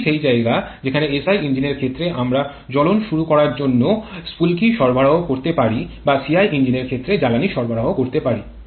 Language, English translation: Bengali, This is the point where we can have fuel injection in case of a SI engine or we can have spark or combustion initiation in case of a SI engine, fuel injection in case of SI engine